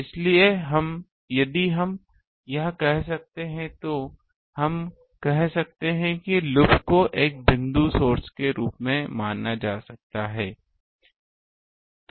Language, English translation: Hindi, So, if we say this then we can say that the loop may be treated as a point source